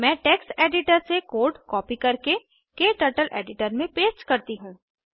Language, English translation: Hindi, Let me copy the code from the text editor and paste it into KTurtle editor